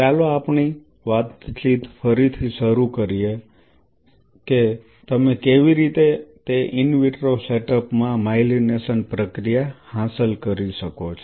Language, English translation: Gujarati, Let us resume our conversation about the myelination process in an in vitro setup how you can achieve